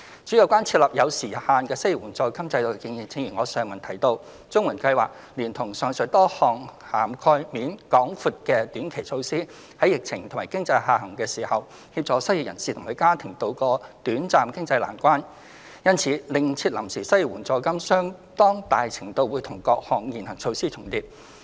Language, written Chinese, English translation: Cantonese, 至於有關設立有時限性的失業援助金制度的建議，正如我在上文提到，綜援計劃連同上述多項涵蓋面廣闊的短期措施，在疫情和經濟下行時，協助失業人士及其家庭渡過短暫經濟難關，因此另設臨時失業援助金相當大程度會與各項現行措施重疊。, Regarding the suggestion on introducing a time - limited unemployment assistance system as I have mentioned above the CSSA Scheme as well as the aforesaid short - term measures with wide coverage have assisted unemployed persons and their families in tiding over short - term financial difficulties during the epidemic and economic downturn . Therefore the temporary unemployment assistance if provided will overlap with these existing measures